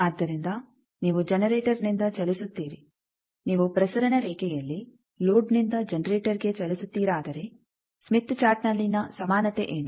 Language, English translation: Kannada, So, you move from generator, you move from load to generator in the transmission line what is the equivalence in Smith Chart